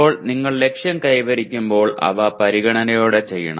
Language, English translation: Malayalam, Now when you set the attainment targets, they should be done with consideration